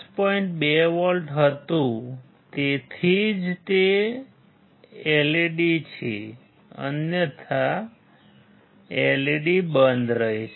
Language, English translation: Gujarati, 2 volts that is why it is the LED on otherwise LED will be off